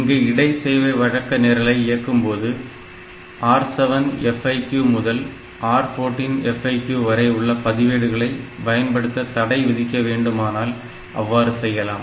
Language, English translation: Tamil, So, if you can restrict your inter service routine to use these registers only R7 FIQ to R14 FIQ then you do not need to save any of the registers